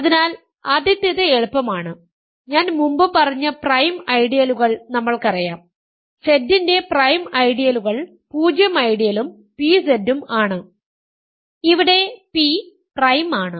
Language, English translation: Malayalam, So, the first one is easy, we know prime ideals I may have done said this before, prime ideals of Z are the 0 ideal and pZ, where p is prime